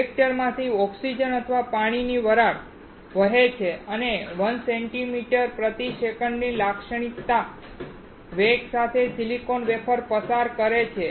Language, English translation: Gujarati, Oxygen or water vapor flows through the reactor and pass the silicon wafers with typical velocity of 1 centimeter per second